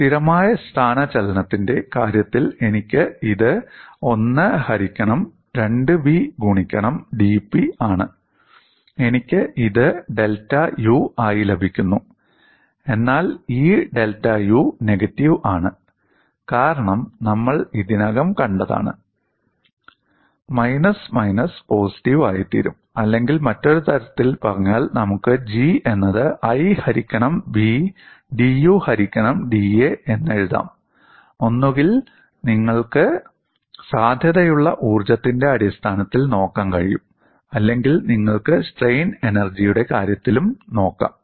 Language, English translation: Malayalam, And in the case of constant of displacement, I have this as 1 by 2 v into dP, and I get this as delta U; but this delta U is negative because we have seen already, we will also look that up again, that minus of minus will become positive, or in other words, we can also write G simply as 1 by B dU by da; either you can look at it in terms of potential energy, or you can also look at in terms of the strain energy